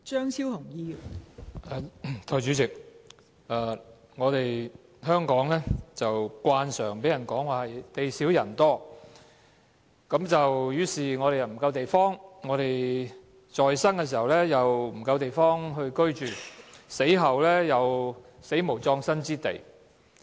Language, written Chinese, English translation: Cantonese, 代理主席，香港慣常被人說是地少人多，於是我們在生時，不夠地方居住，死後亦無葬身之地。, Deputy President Hong Kong is commonly referred to as a small but densely populated city . As such there is not enough living space for us when we are alive and there are no burial places for us when we are dead